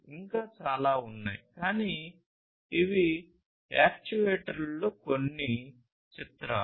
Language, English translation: Telugu, There are many others, but these are some of these pictures of actuators